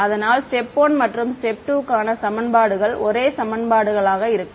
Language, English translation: Tamil, So, the equations are the same step 1 step 2 the equations are the same